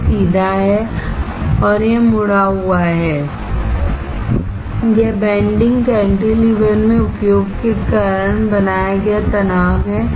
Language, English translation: Hindi, This is straight and this is bent, this bending is because of the stress created in the cantilever because of the use